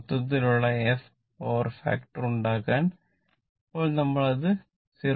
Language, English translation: Malayalam, 8 but now we want to that power factor to 0